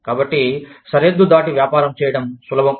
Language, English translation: Telugu, So, it is easier to do business, across the border